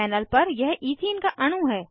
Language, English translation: Hindi, This is a molecule of ethene on the panel